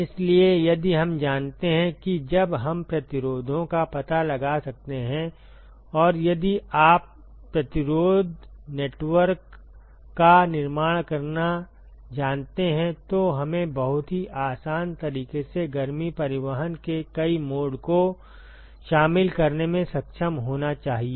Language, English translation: Hindi, So, if we know that when we can find the resistances, and we should be able to incorporate the multiple mode of heat transport in a very very easy fashion, if you know how to construct the resistance network